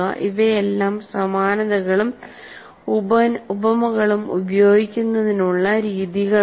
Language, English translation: Malayalam, These are all the methods of using similes and analogies